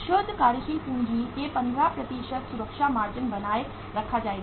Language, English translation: Hindi, A safety margin of the 15% of the net working capital will be maintained